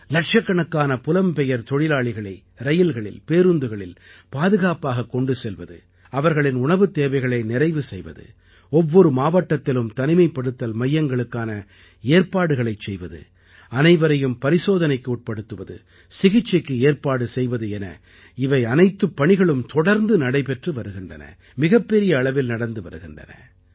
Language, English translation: Tamil, Safely transporting lakhs of labourers in trains and busses, caring for their food, arranging for their quarantine in every district, testing, check up and treatment is an ongoing process on a very large scale